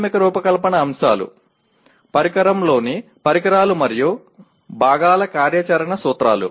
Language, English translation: Telugu, Fundamental Design Concepts operational principles of devices and components within a device